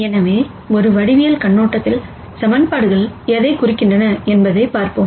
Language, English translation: Tamil, So, let us look at what equations mean from a geometric viewpoint